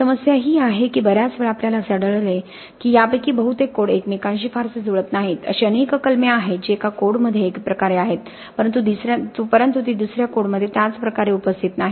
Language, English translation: Marathi, The only problem is very many times we have find most of these codes are not very well in agreement with each other, there are several clauses which are in one way in one code but they are not present in same way in the other code